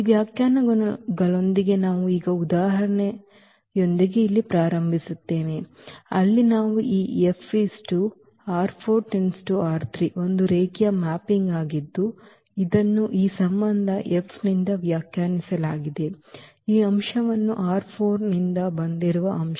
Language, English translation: Kannada, So, with these definitions we start now here with the example, where we have taken this F linear map from R 4 to R 3 is a linear mapping which is defined by this relation F maps this element which is from R 4